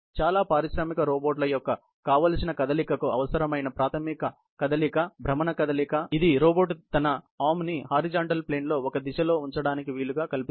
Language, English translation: Telugu, The basic movement required for the desired motion of most of the industrial robots are rotational movement, which enables the robot to place its arm in a direction on a horizontal plane